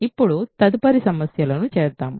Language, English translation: Telugu, So, let us do next problems now